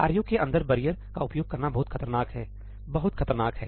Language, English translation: Hindi, It is dangerous to use barrier inside tasks, very very dangerous